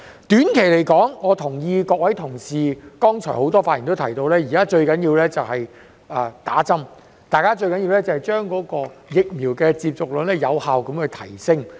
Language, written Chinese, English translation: Cantonese, 短期而言，我同意剛才很多同事在發言所提到，現時最重要的是接種疫苗，將疫苗接種率有效提升。, In the short term I agree with what many colleagues have mentioned earlier in their speeches that the most important thing to do now is to effectively raise the vaccination rate